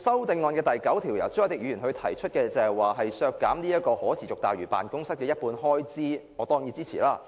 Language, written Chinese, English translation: Cantonese, 至於由朱凱廸議員提出的修正案編號 9， 建議削減可持續大嶼辦公室的一半開支，我當然予以支持。, As for Amendment No . 9 proposed by Mr CHU Hoi - dick to deduct half of the expenditure for the Sustainable Lantau Office SLO I will definitely give my support